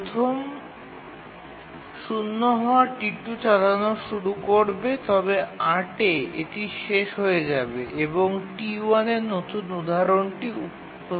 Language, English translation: Bengali, As it completes at 3, T2 will start running, it will run till 8 and then T1 will start running because T1 next instance will arrive